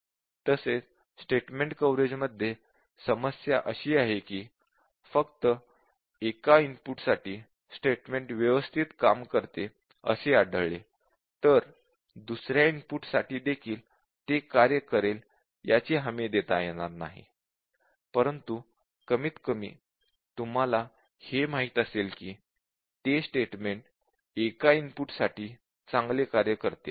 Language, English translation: Marathi, And also the problem with statement coverage is that just by observing a statement works fine for one input does not guarantee that; for other inputs also it will work, but at least you would have known that at least that statement works good for one of the inputs